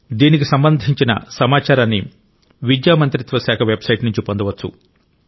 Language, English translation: Telugu, Information about this can be accessed from the website of the Ministry of Education